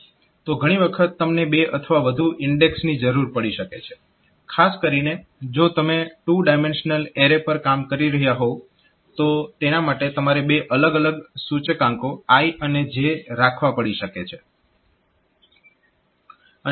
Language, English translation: Gujarati, So, many times what is what will happen is that you may you may need to have 2 or more indices particularly if you are doing say in particular these the 2 dimensional arrays and all that then this may be useful that in maintain 2 different indices I and j for the 2 different dimensions and for that purpose